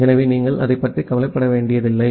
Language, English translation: Tamil, So, you do not care about that